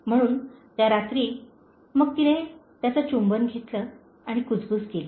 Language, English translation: Marathi, So that night, then she kissed him and whispered